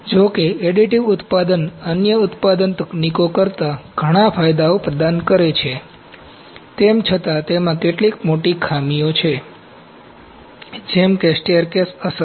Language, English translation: Gujarati, Although additive manufacturing provides many advantages over the other manufacturing technologies, it is still has some major drawbacks, such as staircase effect, this is important